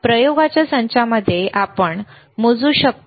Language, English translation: Marathi, In the set of experiment is that we can measure